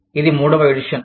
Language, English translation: Telugu, This is the third edition